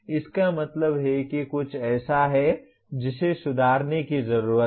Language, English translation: Hindi, That means there is something that needs to be improved